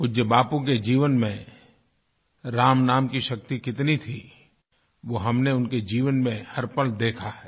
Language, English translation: Hindi, We have seen how closely the power of 'Ram Naam', the chant of Lord Ram's name, permeated every moment of revered Bapu's life